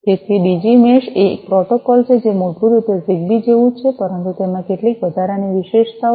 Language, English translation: Gujarati, So, Digi mesh is a protocol that basically is similar to Zigbee, but has certain you know additional features